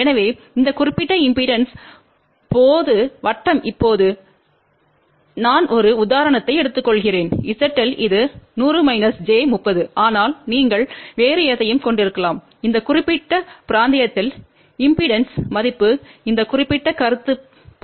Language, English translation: Tamil, So, when the impedance in this particular circle now I am taking an example Z L which is 100 minus j 30, but you can have any other impedance value in this particular region this particular concept will be applicable